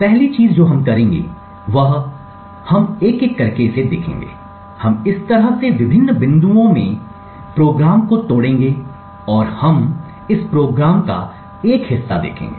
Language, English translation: Hindi, The first thing we would do so what we will do is look at it one by one, we would break the program in various points like this and we will just run part of this program